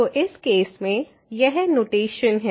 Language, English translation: Hindi, So, in this case this is the notation